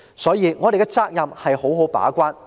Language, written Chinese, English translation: Cantonese, 因此，我們的責任是要好好把關。, Therefore our duty is to keep the gate well